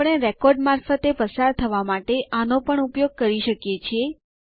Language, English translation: Gujarati, We also can use these to traverse through the records